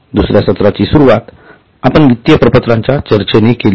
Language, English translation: Marathi, In the second session we started with our discussion on financial statements